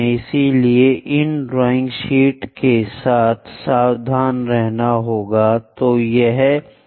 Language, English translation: Hindi, So, one has to be careful with these drawing sheets